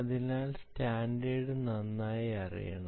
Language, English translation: Malayalam, so the standard should be known very well